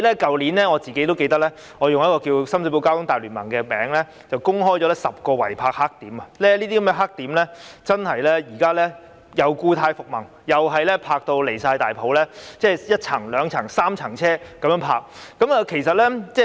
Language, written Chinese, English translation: Cantonese, 我記得我去年以"關注深水埗交通大聯盟"的名義公布了10個違泊黑點，這些黑點現在故態復萌，又再出現胡亂泊車的情況，雙行甚至三行泊車。, I remember that last year in the name of the Alliance of Concern for Sham Shui Po Traffic I published a list of 10 blackspots of illegal parking . Now these blackspots have relapsed with recurrence of indiscriminate parking . Vehicles are double or even triple parked